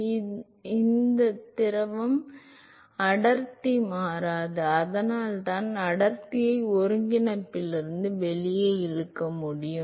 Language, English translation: Tamil, So, suppose if I assume that it is an incompressible fluid, an incompressible fluid, then the density does not change, so I can pull the density out of the integral